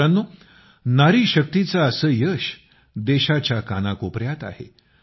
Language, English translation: Marathi, Friends, such successes of women power are present in every corner of the country